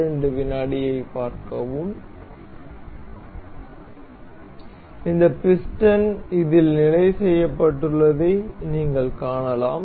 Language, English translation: Tamil, So, you can see that this piston has been fixed in this